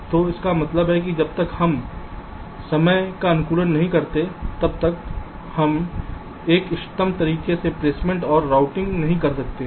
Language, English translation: Hindi, so so, so means, unless we do the timing optimization, we cannot do placement and routing in an optimum way